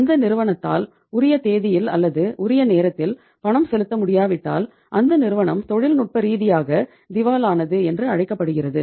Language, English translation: Tamil, If that company is not able to make the payment on due date or on the due time as and when it is due then the company is called as technically insolvent